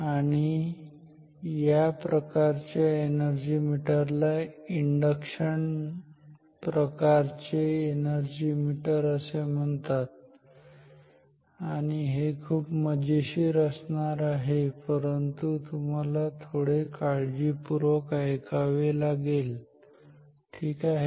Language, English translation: Marathi, And so this is going to be so we call this type of energy meter as an induction type energy meter and this is going to be very interesting, but you have to listen a bit carefully ok